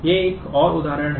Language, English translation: Hindi, These are another example